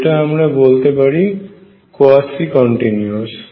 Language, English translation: Bengali, What I will call is quasi continuous